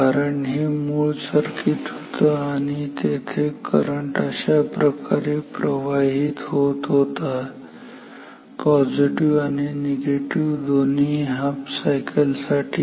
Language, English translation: Marathi, Because this was the original circuit original circuit and here the current was flowing like this it was flowing for both positive and negative halves